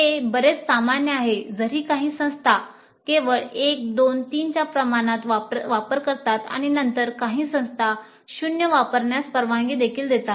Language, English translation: Marathi, So this is much more common though some institutes do use a scale of only 1 to 3 and some institutes do permit 0 also to be used but 1 to 5 is most common and 0 to 5 is also common